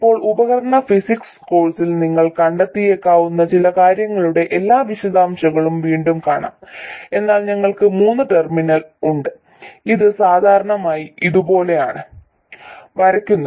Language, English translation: Malayalam, Now again the details of all of these things you may find in device physics course but for us there are three terminals it is usually drawn like this